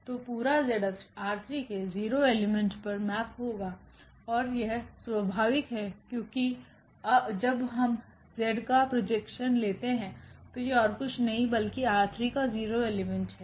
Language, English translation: Hindi, So, the whole z axis will be mapped to this 0 element in R 3 and that is natural here because the z axis when we take the projection of the z axis is nothing but the origin that is means a 0 element in R 3